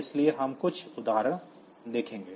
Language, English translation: Hindi, So, we will see some example